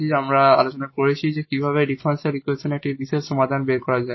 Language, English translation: Bengali, In the next problem, what we will see we will find just the particular solution of this differential equation